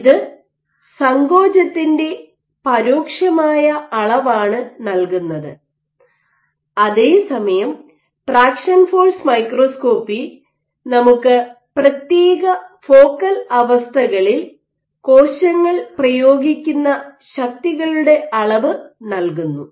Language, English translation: Malayalam, So, this is an indirect measure of contractility, while traction force microscopy gives us forces exerted by cells at distinct focal condition